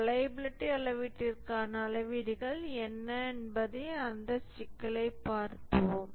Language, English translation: Tamil, Let's look at that issue that what are the metrics for measuring reliability